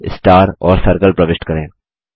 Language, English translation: Hindi, Insert a cloud, a star and a circle